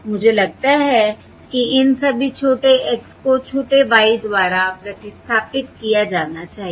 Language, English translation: Hindi, I think I have made all of these small x should be replaced by the small y